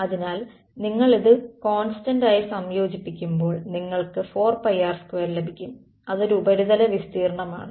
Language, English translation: Malayalam, So, when you integrate this for constant I mean over you will get 4 pi r square which is a surface area right